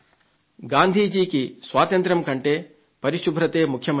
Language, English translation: Telugu, Cleanliness was more important for Gandhi than freedom